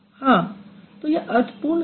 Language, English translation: Hindi, So, it is meaningful